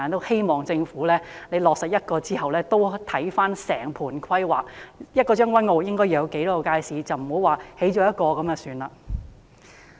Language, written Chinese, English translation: Cantonese, 希望政府在落實興建一個街市後，再檢視整盤規劃，決定將軍澳應該要有多少街市，而不是只興建一個街市便算。, After implementing the plan to build a market I hope that the Government will review the overall planning in Tseung Kwan O to determine the number of markets needed to be built there as building one market is definitely inadequate